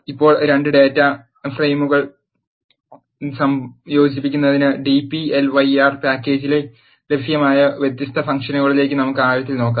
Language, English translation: Malayalam, Now, let us look deep into the different functions, that available in the dplyr package to combine 2 data frames